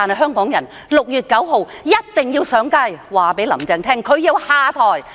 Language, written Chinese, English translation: Cantonese, 香港人6月9日一定要上街，讓"林鄭"知道她要下台。, Hong Kong people must take to the streets on 9 June in order to make Carrie LAM realize that she must step now